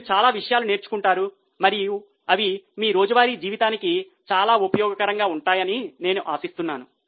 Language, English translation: Telugu, You would have learned many things and I hope they would be very much useful for your day to day life